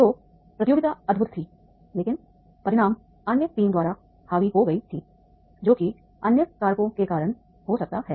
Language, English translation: Hindi, So the communication was wonderful but the outcome that has been dominated by the another team maybe because of the other factors